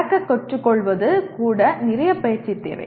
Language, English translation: Tamil, Even learning to walk requires lot of practice